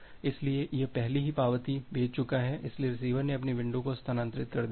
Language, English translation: Hindi, So, it has already send the acknowledgements so the receiver has shifted its window